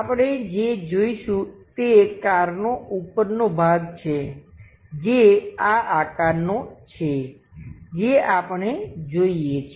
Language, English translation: Gujarati, What we will see is the top portion of the car of that shape we supposed to see